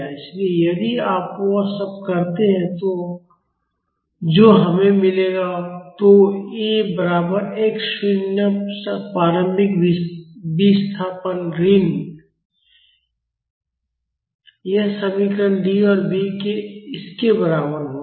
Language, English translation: Hindi, So, if you do all that we will get A is equal to x naught the initial displacement minus this expression D and B will be equal to this